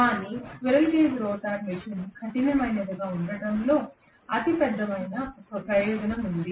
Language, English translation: Telugu, But squirrel cage rotor machine has the biggest advantage of being rugged